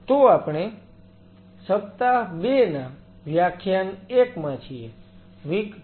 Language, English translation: Gujarati, So, we are into week 2, lecture 1; W 2, L 1